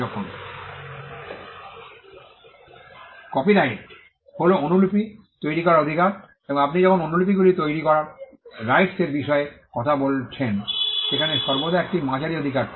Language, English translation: Bengali, Because copyright is the right to make copies and when you are talking about the right to make copies where are you making those copies there is always a medium right